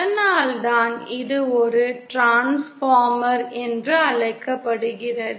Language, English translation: Tamil, This is one of the that is why it is called a Transformer